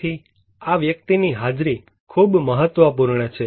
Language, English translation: Gujarati, So, the presence of this person is very important